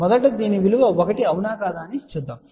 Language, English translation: Telugu, Let us first check whether it is 1 or not